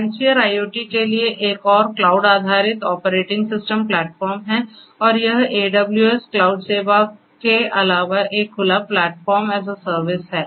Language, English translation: Hindi, MindSphere is another cloud based operating system platform for IoT and this is an open Platform as a Service in addition to the AWS cloud service